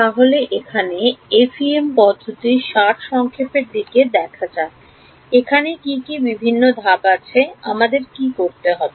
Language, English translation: Bengali, Let us look at the Summary of the FEM Procedure, what are the various steps that we have to do